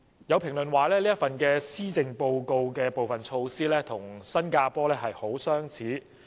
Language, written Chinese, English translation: Cantonese, 有評論認為，施政報告提出的部分措施，跟新加坡推行的措施相似。, Some critics have formed the view that some initiatives proposed in the Policy Address are similar to those introduced in Singapore